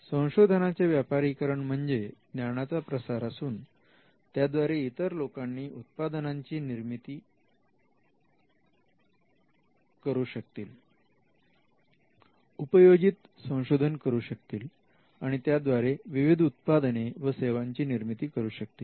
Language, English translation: Marathi, So, commercialization means in such cases you just disseminate the knowledge, so that other people can build upon it, create products, do applied research and come up with various products and services